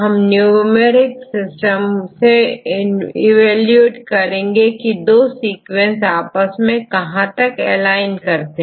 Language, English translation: Hindi, Then we need a numeric system to evaluate how far these two sequences align with each other